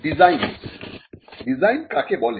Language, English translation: Bengali, Designs; what is a design